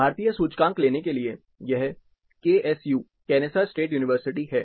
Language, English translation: Hindi, To take the Indian index, this is KSU, Kennesaw State University